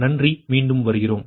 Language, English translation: Tamil, thank you again